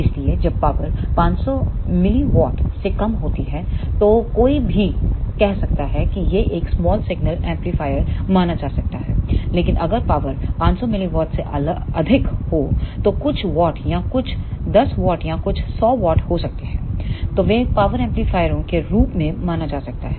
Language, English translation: Hindi, So, when the power is less than 500 milliwatt then one may say that this can be considered as a small signal amplifier however, if the power is greater than 500 milliwatt may be few watts or few 10s of watt or few 100s of watt then they can be considered as power amplifiers